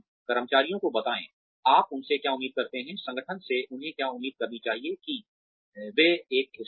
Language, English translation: Hindi, Tell employees, what you expect of them, what they should expect from the organization, that they are, a part of